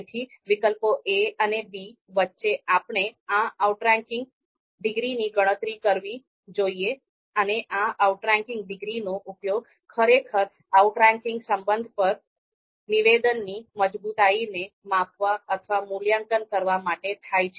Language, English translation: Gujarati, So, between a and b, given two alternatives a and b, so between a and b we are supposed to compute this outranking degree and this outranking degree is actually used to measure or evaluate the strength of the assertion on outranking relation